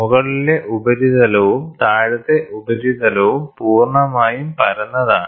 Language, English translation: Malayalam, The top surface and the bottom surface are completely made flat